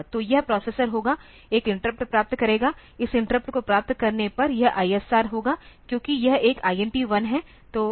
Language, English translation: Hindi, So, this will be the processor will get an interrupt; on getting this interrupt this ISR will be this since it is an INT1